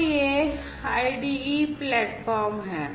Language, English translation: Hindi, So, this is this IDE platform